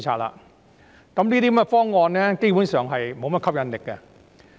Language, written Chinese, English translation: Cantonese, 這個方案基本上沒有甚麼吸引力。, This proposal basically holds little appeal